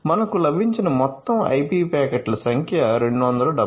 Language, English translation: Telugu, So, total number of IP packet in we have received 277